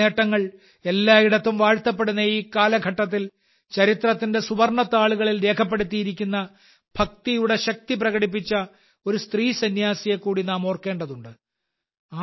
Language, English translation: Malayalam, In this era, when their achievements are being appreciated everywhere, we also have to remember a woman saint who showed the power of Bhakti, whose name is recorded in the golden annals of history